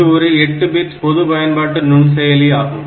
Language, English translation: Tamil, So, it is a 8 bit general purpose microprocessor